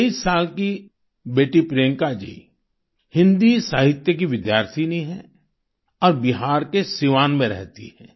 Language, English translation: Hindi, 23 year old Beti Priyanka ji is a student of Hindi literature and resides at Siwan in Bihar